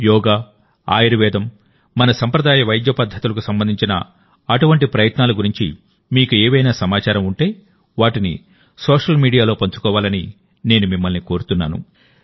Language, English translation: Telugu, I also urge you that if you have any information about such efforts related to Yoga, Ayurveda and our traditional treatment methods, then do share them on social media